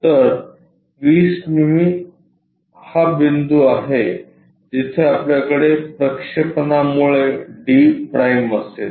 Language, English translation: Marathi, So, 20 mm so, this is the point where we will have d’ because its a projection